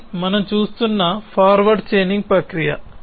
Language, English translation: Telugu, So, this is the process of forward chaining we are looking at